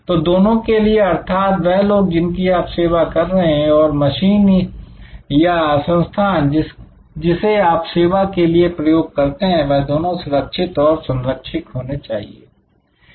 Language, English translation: Hindi, So, for both the people you serve and the machines or systems that you use to serve must be safe and secure